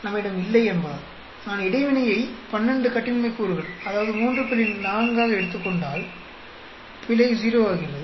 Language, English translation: Tamil, Because we do not haveů if I take the interaction as 12 degrees of freedom that is 3 into 4, error becomes 0